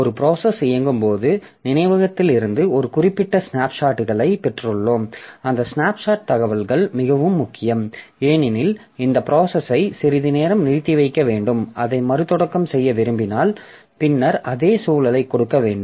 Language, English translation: Tamil, So, as we said previously that when a process is executing, so it has got certain snapshots from the memory and those snapshot information is very important because so if we are, if we have, if we have to suspend the execution of the process for some time and we want to restart it later then the same environment has to be given